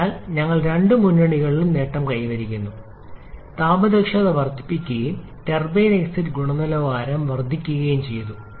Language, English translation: Malayalam, So, we are gaining both front thermal efficiency is increased and also the turbine exit quality has increased